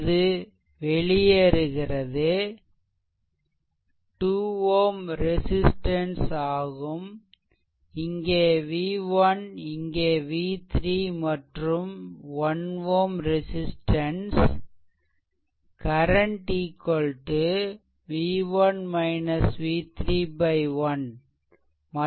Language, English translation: Tamil, So, this current is leaving say this current is v 1 upon 2 this is 2 ohm resistance this is v 1 upon 2 right